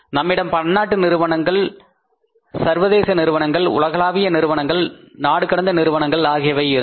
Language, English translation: Tamil, We had the concept of the multinational companies, multinational companies, world companies, transnational companies